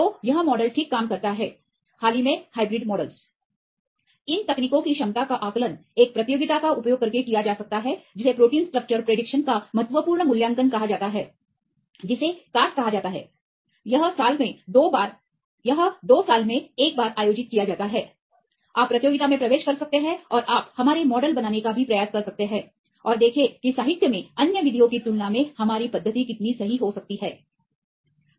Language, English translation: Hindi, The ability of these techniques can be assessed using a competition called the critical assessment of protein structure prediction of proteins it is called casp, this is conduct once in 2 years right you can enter in to the competition and you can also try to build our models and see how far our method can be accurate compared with the other methods in the literature